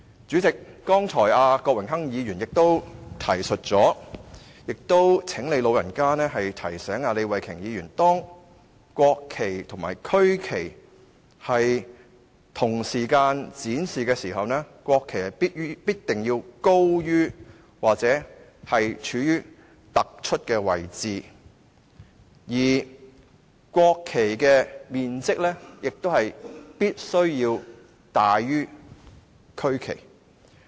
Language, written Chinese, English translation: Cantonese, 主席，剛才郭榮鏗議員也提到，我也請你"老人家"提醒李慧琼議員，當國旗及區旗在同時間展示時，國旗必須高於區旗或處於突出的位置，而國旗的面積也必須大於區旗。, President just now I heard Mr Dennis KWOK mention and I also ask you to remind Ms Starry LEE that when the national flag and the regional flag are displayed at the same time the national flag must be placed above or in a more prominent position than the regional flag; the size of the national flag must also be larger than that of the regional flag